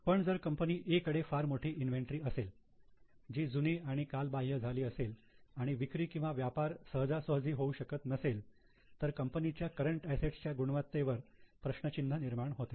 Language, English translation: Marathi, 5 but if company A has very large quantum of inventories which have become old inventories, they have outdated inventories and they cannot be traded easily or sold easily, then the quality of their CA is in question